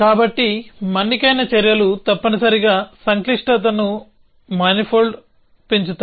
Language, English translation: Telugu, So, durative actions of course, increase the complexity manifold essentially